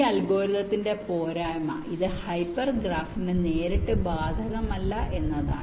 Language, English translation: Malayalam, the drawback of this algorithm is that this is not applicable to hyper graph directly